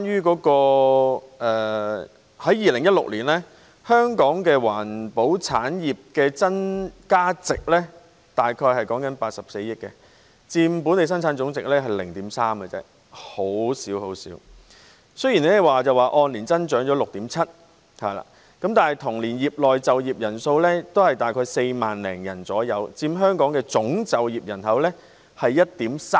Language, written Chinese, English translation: Cantonese, 此外 ，2016 年香港環保產業的增加值約為84億元，佔本地生產總值 0.3% 而已，比率很小；雖然按年增長 6.7%， 但同年業內就業人數約 44,300 人，佔香港總就業人數 1.3%。, Furthermore the value added of Hong Kongs environmental industry in 2016 was about 8.4 billion accounting for just a tiny 0.3 % share of the gross domestic product . Despite an annual growth of 6.7 % the employee population in the industry was about 44 300 in the same year representing 1.3 % of the total employment in Hong Kong